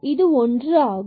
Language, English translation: Tamil, So, this is 1 here